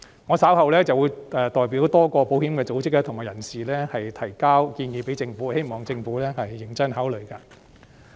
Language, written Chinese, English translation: Cantonese, 我稍後會代表多個保險組織和人士向政府提交建議，希望政府認真考慮。, I will later submit a proposal on behalf of various insurance organizations and practitioners and hope that the Government will consider it seriously